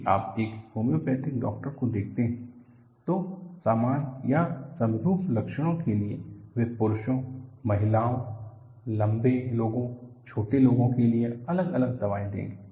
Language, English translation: Hindi, See, if you look at a homeopathic doctor, for the same or similar symptoms, they will give different medicines for men, women, tall person, short person